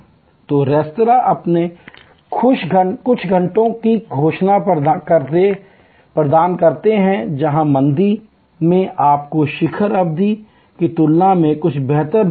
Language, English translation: Hindi, So, restaurants off an do it by declaring happy hours, where the lean period you get some better rate compare to the peak period